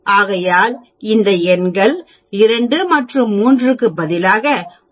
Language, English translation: Tamil, Instead of 2 and 3 here, we are using 1